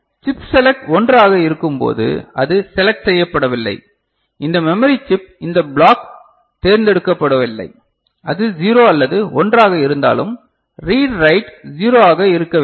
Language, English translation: Tamil, And when chip select is 1 right so, it is not selected right, this memory chip this block is not selected then whether it is 0 or 1, read and write should be 0, is it fine